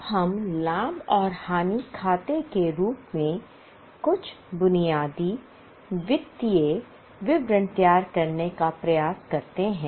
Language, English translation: Hindi, Now let us try to prepare some basic financial statement in the form of profit and loss account